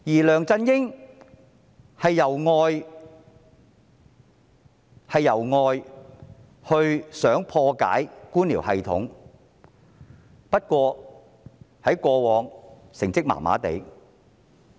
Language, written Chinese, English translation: Cantonese, 梁振英則是外來的，他想破解官僚系統，但過往的成績並不理想。, LEUNG Chun - ying who came from outside the civil service wanted to break the bureaucratic system but his performance in the past was not satisfactory